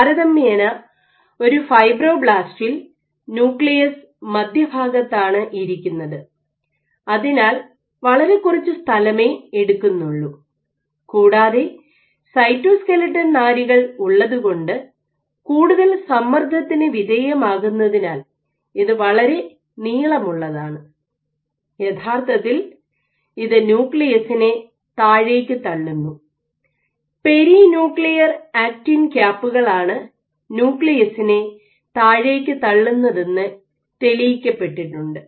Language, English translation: Malayalam, So, you just have the nucleus occupying the gamete of the space versus for a fibroblast the nucleus is right at the center and it takes a much less amount of space, and it is also more elongated under a lot more stress because you have cytoskeletal fibers, which actually push down on the nucleus in this regard it has been shown that there are perinuclear actin caps which push the nucleus down ok